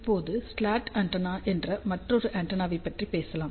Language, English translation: Tamil, Now, let us talk about another antenna which is slot antenna